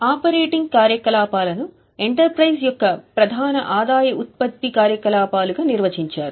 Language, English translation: Telugu, So, these are defined as principal revenue generating activities of the enterprise